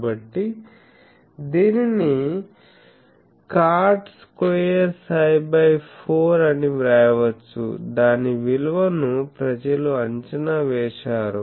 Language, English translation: Telugu, So, this can be written as cot square psi by 4; then its value people have evaluated that